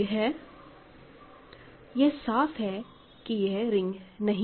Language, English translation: Hindi, So, this is not ring